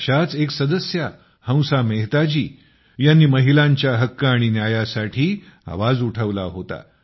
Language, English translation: Marathi, One such Member was Hansa Mehta Ji, who raised her voice for the sake of rights and justice to women